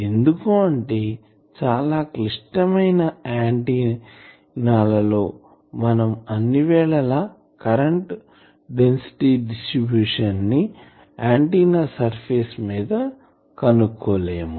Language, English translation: Telugu, Because more complicated antennas there we cannot always find the J current density distribution on the antenna surface